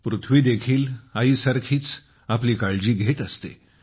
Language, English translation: Marathi, The Earth also takes care of us like a mother